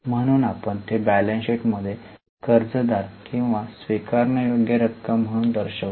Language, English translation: Marathi, So, we show it in the balance sheet as a debtor or a receivable